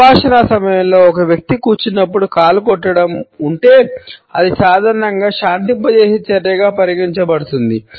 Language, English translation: Telugu, During the dialogue if a person is a stroking his leg while sitting, it normally is considered to be a pacifying action